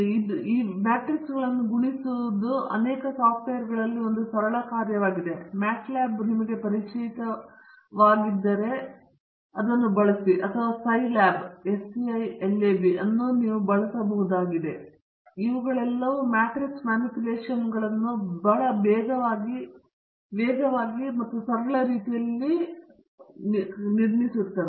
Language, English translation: Kannada, Doing the inversion and multiplying the matrices is a very simple task in many software; MATLAB you might be familiar or Scilab you may be using, where all these matrix manipulations are done very quickly and in a very simple manner